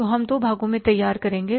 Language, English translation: Hindi, So, we will prepare in two parts